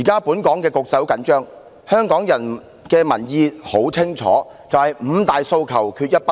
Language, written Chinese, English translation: Cantonese, "本港現時的局勢十分緊張，而香港的民意十分清晰，就是"五大訴求，缺一不可"。, The situation in Hong Kong is dire and the public opinion is crystal clear Five demands not one less